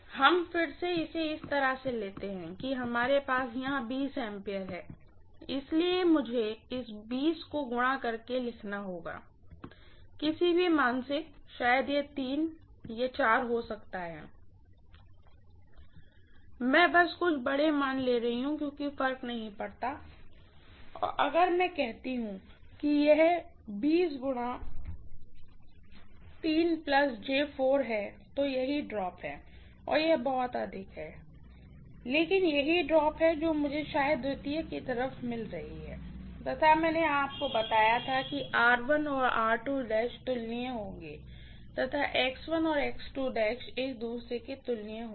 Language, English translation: Hindi, Let us again take it this way that we are having 20 amperes here, so I have to write this 20 multiplied by let me just take arbitrarily some value, maybe this is 3 and this is 4, I am simply taking some large value it is does not matter and if I say this is 20 multiplied by 3 plus J 4, that is what is the drop, it is very, very high agree, but this is the drop that I am getting probably on the secondary side and I told you that generally R1 and R2 dash will be comparable to each other, X1 and X2 dash will be comparable to each other